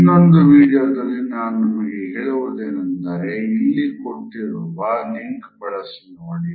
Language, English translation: Kannada, Another video, which I would recommend can be accessed on the given link